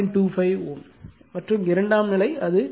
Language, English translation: Tamil, 25 ohm, it is 19 ohm and secondary side it is 0